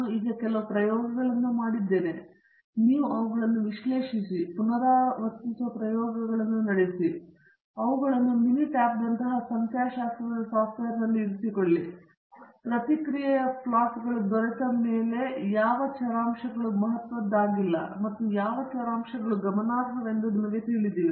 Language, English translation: Kannada, Now that we have done some experiments and you analyzed them, carried out the experiments that repeats, put them in statistical software like mini tab, got the response plots, and you also know which variables are significant which variables are not significant and so on